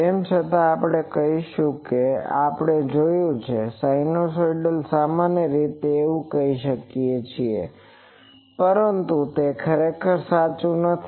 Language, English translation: Gujarati, Though we will say that as we have seen that sinusoidal typically we can say, but it is not exactly true